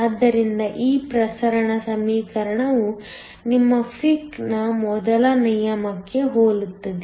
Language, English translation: Kannada, So, this diffusion equation is very similar to your Fick’s first law